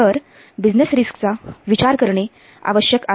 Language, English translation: Marathi, So, it needs to take account of the business risks